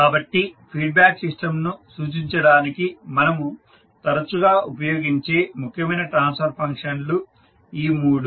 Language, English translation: Telugu, So these three are the most important transfer functions which we use frequently to represent the feedback system